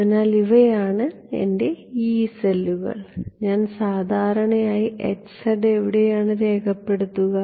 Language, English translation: Malayalam, So, these are my Yee cells where do I record H z typically